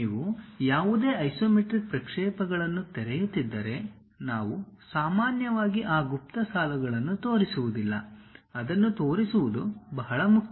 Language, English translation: Kannada, If you are opening any isometric projections; we usually do not show those hidden lines, unless it is very important to show